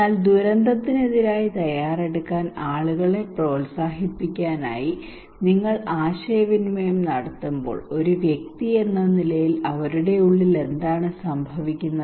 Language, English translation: Malayalam, But when you are communicating people to encourage them to prepare against disaster what they are going on inside them as an individual